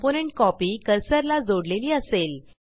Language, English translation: Marathi, A copy of the component will be tied to your cursor